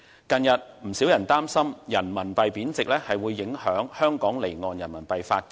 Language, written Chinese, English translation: Cantonese, 近日，不少人擔心人民幣貶值會影響香港離岸人民幣的發展。, Recently many people are worried that the depreciation of RMB may affect the development of off - shore RMB business in Hong Kong